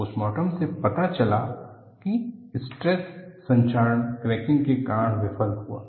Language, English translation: Hindi, The postmortem revealed, they failed due to stress corrosion cracking